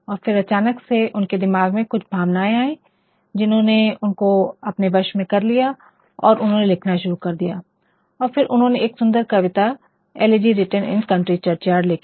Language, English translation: Hindi, And, then suddenly in his mind there came some emotions which actually overpowered him and he started writing and then he wrote the beautifulpoem elegy written in a country churchyard anyway